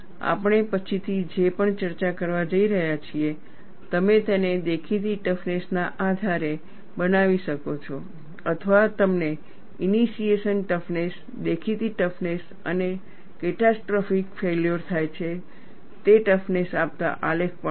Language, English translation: Gujarati, Whatever the discussion that we are going to do later, you could construct it based on the apparent toughness; or you would also find graph giving initiation toughness, apparent toughness and the toughness at which catastrophic failure occurs